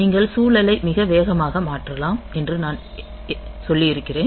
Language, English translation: Tamil, So, as I was telling that you can switch the context very fast